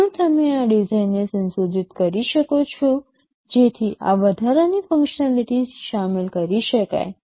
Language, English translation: Gujarati, Can you modify this design so that this added functionality can be incorporated